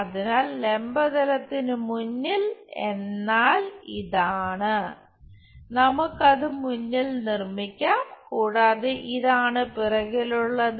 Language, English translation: Malayalam, So, in front of vertical plane is this is let us make it in front and this is behind